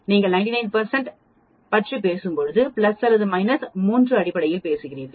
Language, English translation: Tamil, When you are talking 99 percent, we are talking in terms of plus or minus 3 sigma